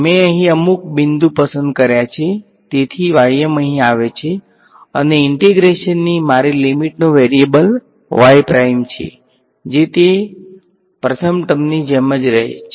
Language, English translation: Gujarati, I chose some point over here y m so y m come comes over here and y prime is my limit variable of integration that remains as is that was the first term